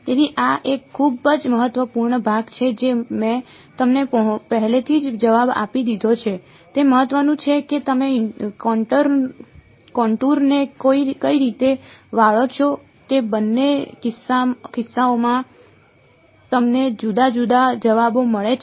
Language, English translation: Gujarati, So, this is this is a very very important part I have sort of given the answer of you already it matters which way you bend the contour you get different answers in both cases ok